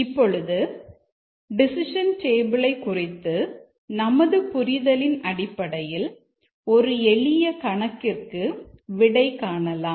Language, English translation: Tamil, Now, based on our understanding of the decision table, let's try to solve a very simple problem